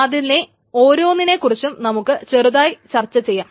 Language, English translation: Malayalam, So, let us go over each one of them one by one